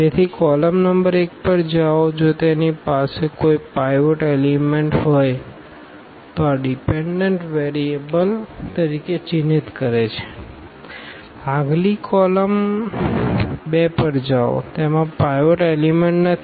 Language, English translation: Gujarati, So, go to the column number 1, if it has a pivot element mark this as a dependent variable; go to the next column 2, it does not have a pivot element